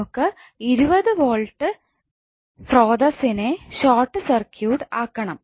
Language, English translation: Malayalam, We have to short circuit the 20 volt voltage source